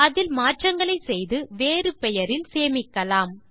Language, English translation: Tamil, Make changes to it, and save it in a different name